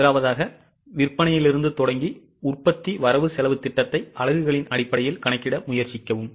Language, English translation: Tamil, Firstly starting with the sales try to compute the production budget in terms of units